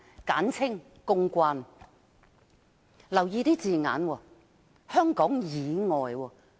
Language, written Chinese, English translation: Cantonese, 請大家留意用字，是"香港以外"。, Please pay attention to the term Outside Hong Kong